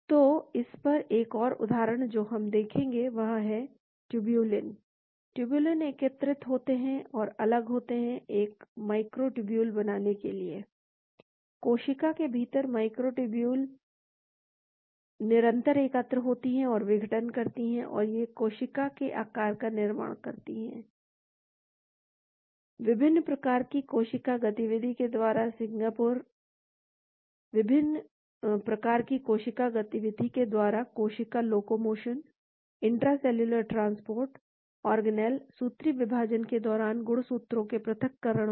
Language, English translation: Hindi, So, another example we will look at this is tublin; tublin assembles and disassembles to form a microtubule; , microtubules undergo continual assembly and disassembly within the cell, they determine the cell shape in a variety of cell movements , cell locomotion, intracellular transport organelles, separation of chromosomes during mitosis